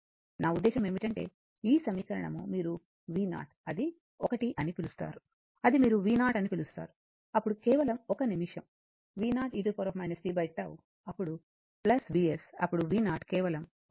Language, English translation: Telugu, I mean just, just this equation you can write that V 0 it is 1 your what you call it is v 0, then into your just one minute e to V 0 e to the power minus t by tau then plus v s, then V 0 will be your just 1 minute let me make it here